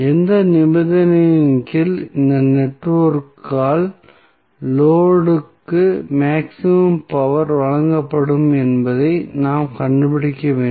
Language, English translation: Tamil, Now, what we have to find out that under what condition the maximum power would be supplied by this network to the load